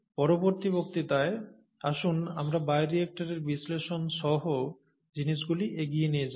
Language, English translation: Bengali, In the next lecture, let us take things forward with shear of the bioreactor